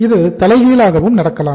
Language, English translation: Tamil, It happens reverse also